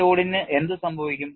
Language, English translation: Malayalam, What happens to this load